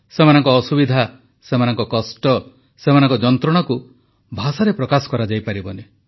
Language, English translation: Odia, Their agony, their pain, their ordeal cannot be expressed in words